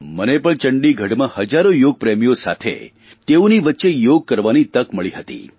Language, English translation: Gujarati, I also got an opportunity to perform Yoga in Chandigarh amidst thousands of Yoga lovers